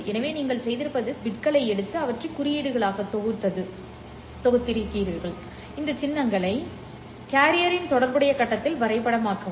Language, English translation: Tamil, So what you have done is to take the bits, group them into symbols and then map these symbols onto corresponding face of the carrier